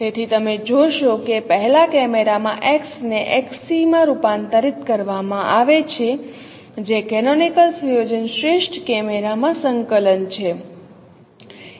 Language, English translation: Gujarati, So you see that in the first camera, X is converted to X C which is a coordinate in the canonical setup of Pinal camera